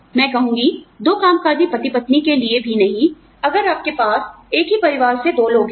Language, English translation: Hindi, I would say, not even for two working spouses, if you have two people, from the same family